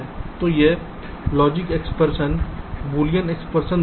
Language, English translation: Hindi, so this gives ah logic expression, boolean expression